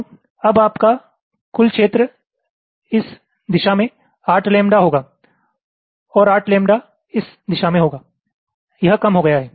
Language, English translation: Hindi, so now your total area will be eight lambda this direction and eight lambda this direction